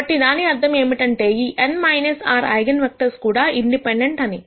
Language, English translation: Telugu, So, that means, these n minus r eigenvectors are also independent